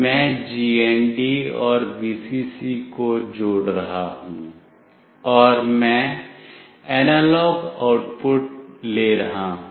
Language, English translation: Hindi, I will be connecting the GND and Vcc, and I will be taking the analog output